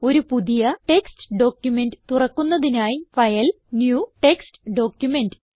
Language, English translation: Malayalam, Lets open a new text document by clicking on File, New and Text Document option